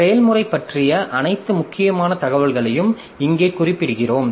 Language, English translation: Tamil, So, here we note down all the important information about the process